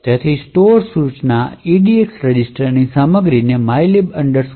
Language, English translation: Gujarati, Therefore, the store instruction would store the contents of the EDX register to the correct location of mylib int